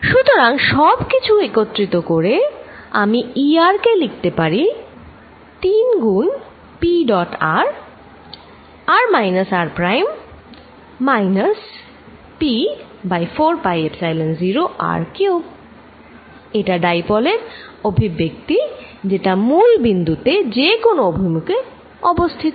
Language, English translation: Bengali, So, combining all these I can write E r as p dot r r with the 3 here minus p over 4 pi Epsilon 0 r cubed, this is the expression for a dipole sitting with any orientation now at the origin